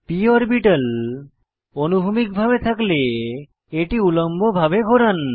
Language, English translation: Bengali, Rotate the p orbital to vertical position if it is in horizontal position